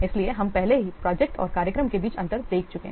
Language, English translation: Hindi, So, we have already seen earlier the difference between project and the program